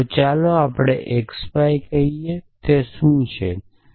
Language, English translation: Gujarati, So, let us say x y and what is does is it